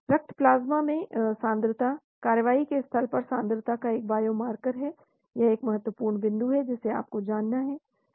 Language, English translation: Hindi, Concentration in blood plasma is a biomarker for concentration at the site of action, that is another important point you need to know